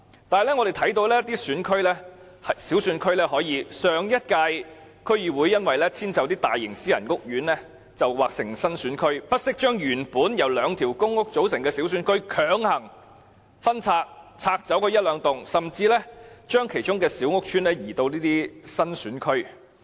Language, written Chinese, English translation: Cantonese, 可是，我們看到在一些小選區中，上屆區議會為遷就大型私人屋苑劃成新選區，不惜將原本由兩個公屋屋邨組成的小選區強行分拆，把其中一兩幢甚至較小的屋邨劃入新選區內。, However we can see that in some small constituencies the DCs of the previous term have gone so far as to forcibly split up a small constituency composed of two public housing estates and then incorporate one or two blocks or a smaller housing estate into a new constituency so that a large private housing estate can be demarcated as a new constituency